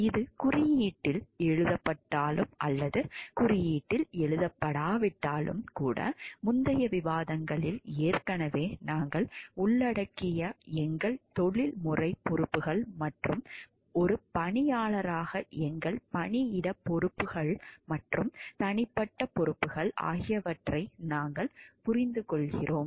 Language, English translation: Tamil, Even if whether it is written in the code or not written in the code because, we understand our professional responsibilities which already we have covered in the previous discussions and our workplace responsibilities as a employees and individual responsibilities also